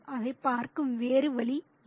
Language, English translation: Tamil, The other way to look at it is this